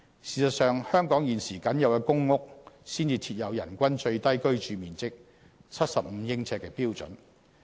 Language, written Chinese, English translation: Cantonese, 事實上，香港現時僅有公屋才設有人均最低居住面積為75呎的標準。, In fact in Hong Kong the average living space of 75 sq ft per person is only applicable to PRH units and no such standard applies for private housing